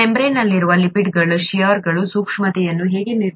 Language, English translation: Kannada, How do lipids in the membrane determine shear sensitivity